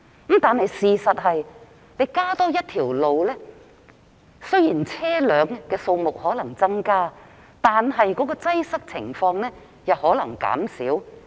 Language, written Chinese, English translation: Cantonese, 不過，事實是，雖然開設新的道路/隧道或會促使車輛的數目增加，但擠塞情況可能會減少。, Yet the truth is while the opening of new roadstunnels may lead to an increase in the number of vehicles traffic jams may reduce as a result